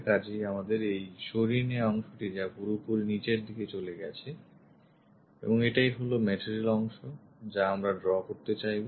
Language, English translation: Bengali, So, we have this removed portion which goes all the way down and this is the material portion we would like to draw it